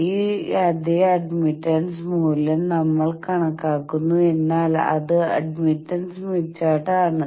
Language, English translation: Malayalam, To this the same admittance value, but on admittance smith chart